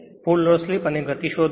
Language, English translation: Gujarati, Find the full load slip and speed